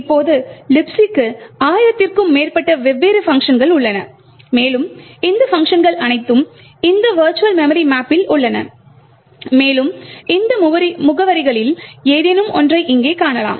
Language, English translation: Tamil, Now LibC has as I mentioned over a thousand different functions and all of this functions are present in this virtual address map and can be access by any of these addresses that are present over here